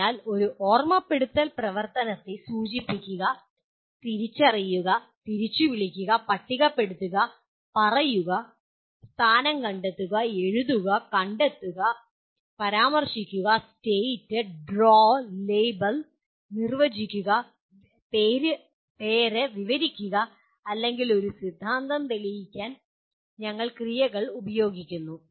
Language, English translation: Malayalam, So we use the action verbs to indicate a remember type of activity, recognize, recall, list, tell, locate, write, find, mention, state, draw, label, define, name, describe, or even prove a theorem